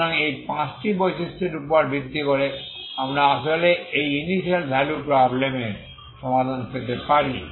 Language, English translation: Bengali, And the last one so based on this simple property is you can actually find the initial solution of the initial value problem